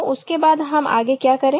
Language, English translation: Hindi, So, after that what we do